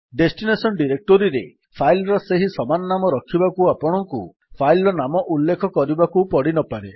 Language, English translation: Odia, If you want the file to have the same name in the destination directory, you may not even mention the file name